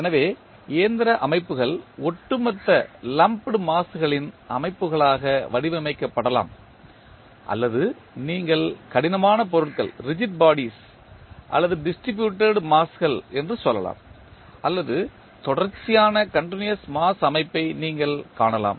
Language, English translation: Tamil, So, the mechanical systems may be modeled as systems of lumped masses or you can say as rigid bodies or the distributed masses or you can see the continuous mass system